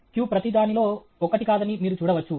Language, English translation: Telugu, You can see that the q, the q is not one on everything